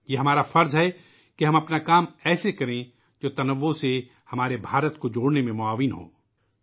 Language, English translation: Urdu, It is our duty to ensure that our work helps closely knit, bind our India which is filled with diversity